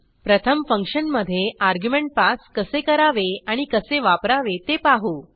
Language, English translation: Marathi, Let us first learn how to pass an argument to a function, and its usage